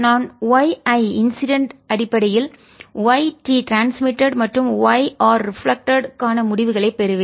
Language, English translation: Tamil, i solve the two equations and i'll get results for y transmitted and y reflected in terms of y incident